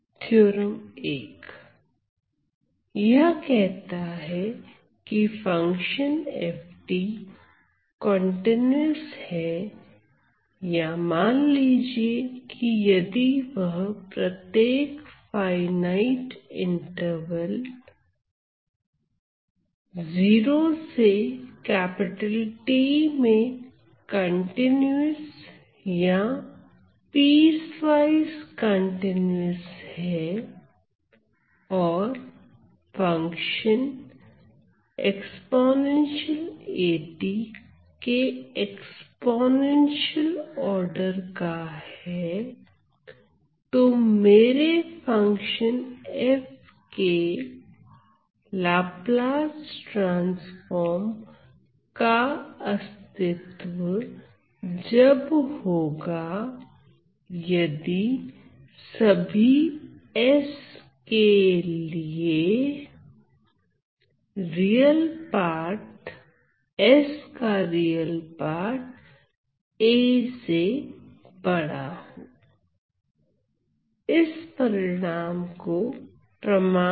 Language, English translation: Hindi, So, it tells me that a function f of t is continuous or suppose if it is continuous or piecewise continuous, in let us say in every finite interval 0 to T and is of exponential order, exponential order given by this function e to the power at, then my Laplace transform of this function f exists provided so this is for all s provided I have that the real of s is bigger than a ok